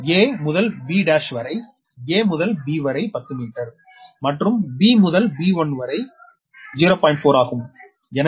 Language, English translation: Tamil, a to b dash, a to b is ten meter and b to b dash is point four